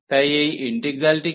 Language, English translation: Bengali, So, what is this integral